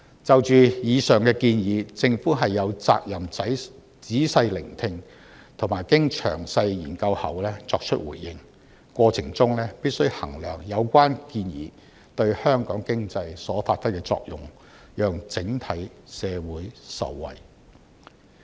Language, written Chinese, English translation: Cantonese, 就着以上建議，政府有責任仔細聆聽，並經詳細研究後作出回應，過程中必須衡量有關建議對香港經濟所發揮的作用，讓整體社會受惠。, Regarding all of these proposals the Government is obliged to listen carefully and give its response after detailed study and it must assess the effect of the relevant proposals on the economy of Hong Kong in the course of consideration with a view to benefiting society as a whole